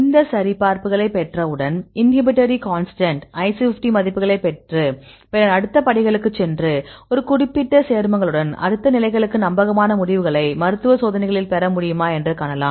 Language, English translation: Tamil, So, now, we go once we get these validations; get the inhibitory constants IC50 values then go for next steps and see whether we can get reliable results with a particular compounds to the next levels; to be in the clinical trials